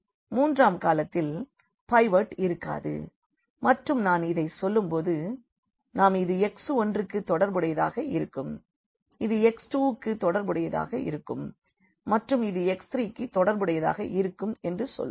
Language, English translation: Tamil, So, this column has the pivot this column has a pivot the third column does not have a pivot and as I said this we say this corresponding to x 1, this is corresponding to x 2 and this is corresponding to x 3